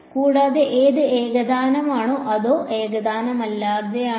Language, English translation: Malayalam, And is it homogeneous or non homogeneous